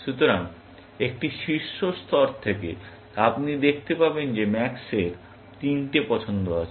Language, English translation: Bengali, So, as a top level, you can see that max has three choices